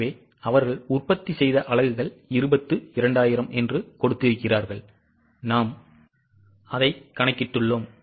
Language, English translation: Tamil, So, they have given 22,000 are the units produced we have calculated